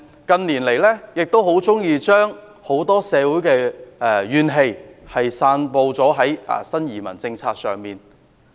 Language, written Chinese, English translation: Cantonese, 近年來，很多人喜歡將社會怨氣散布至新移民政策上。, In recent years many people tend to blame the policy on new immigrants to vent their social grievances